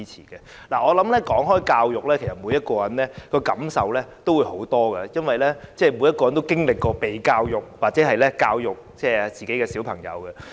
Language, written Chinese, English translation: Cantonese, 談及教育，每個人都感受良多，因為人人都曾經接受教育，又或有教育子女的經驗。, Speaking of education everybody will have strong feelings because we have all been educated or have the experience of teaching our own children